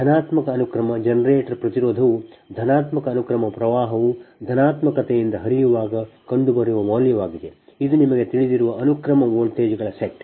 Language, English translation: Kannada, therefore, the positive sequence generator impedance is the value found when positive sequence current flows due to an imposed positive sequence set of voltages